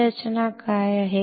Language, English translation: Marathi, What is this structure